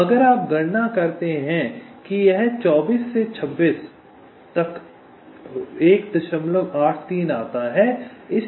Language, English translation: Hindi, so if you calculate, it comes to twenty six by twenty